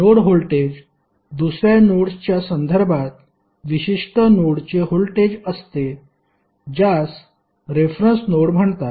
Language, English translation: Marathi, Node voltage is the voltage of a particular node with respect to another node which is called as a reference node